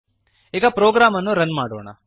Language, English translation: Kannada, Let us Run the program now